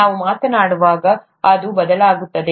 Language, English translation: Kannada, It's changing as we speak